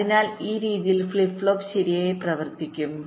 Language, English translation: Malayalam, so so in this way the flip flop will go on working right